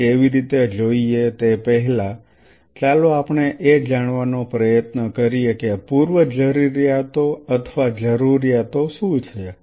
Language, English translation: Gujarati, Before we see how let us try to figure out what are the requirements what are the prerequisite or requirement